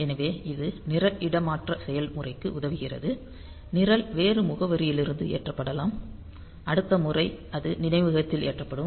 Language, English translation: Tamil, So, this helps in the process called program relocation; that is the program may be loaded from a different address; next time it is loaded into the memory